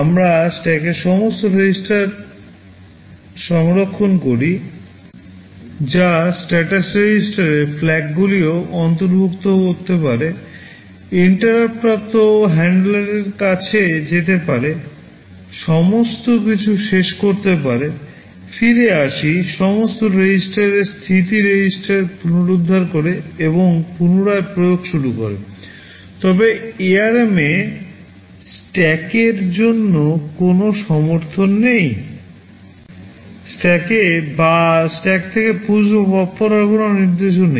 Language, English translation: Bengali, We save all the registers in the stack that can include also the status registers and the flags, go to the interrupt handler, finish everything, come back, restore all registers and status register and resume execution, but in ARM there is no support for stack, there is no instruction to push or pop instructions in stack or from stack